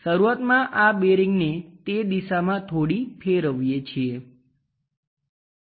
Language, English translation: Gujarati, This bearing might be initially turned in that direction